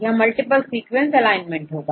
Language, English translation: Hindi, This is a multiple sequence alignment